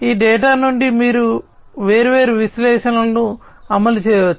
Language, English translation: Telugu, So, from this data you can run different analytics